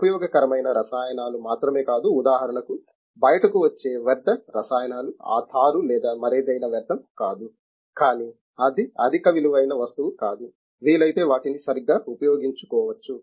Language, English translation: Telugu, Not only useful chemicals even the waste chemicals that come out ok for example, that tar or something other it is not waste, but it is not a high prized commodity, they can used properly if they can